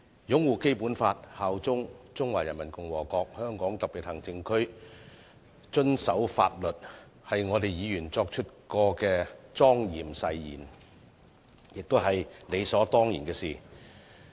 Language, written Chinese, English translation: Cantonese, 擁護《基本法》、效忠中華人民共和國香港特別行政區、遵守法律，是議員作出的莊嚴誓言，亦是理所當然的事。, To uphold the Basic Law bear allegiance to the Hong Kong Special Administrative Region HKSAR of the Peoples Republic of China and act in full accordance with the law are the solemn oath taken by Members and also the way in which we should most naturally conduct ourselves